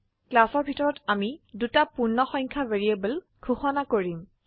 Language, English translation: Assamese, Inside the class we will declare two integer variables